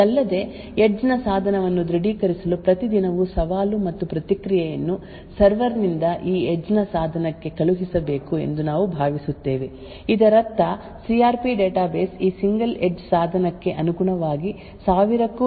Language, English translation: Kannada, Further, we assume that every day there should be challenged and response sent from the server to this edge device so as to authenticate the edge device, this would mean that the CRP database should have over thousand different challenges and response corresponding to this single edge device